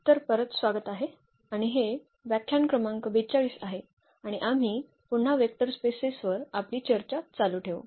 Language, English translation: Marathi, So, welcome back and this is lecture number 42 and we will continue our discussion on Vector Spaces again